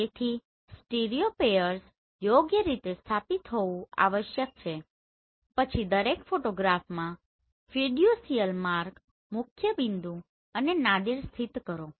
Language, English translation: Gujarati, So stereopairs must be oriented correctly then locate the fiducial mark, principal point and Nadir in each photograph